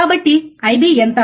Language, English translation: Telugu, So, what will be your I B